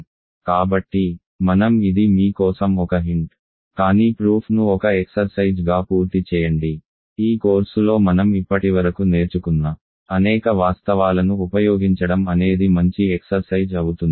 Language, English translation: Telugu, So, I this is a hint for you, but finish the proof as an exercise, it is a good exercise to make use of several facts that we have so far learned in this course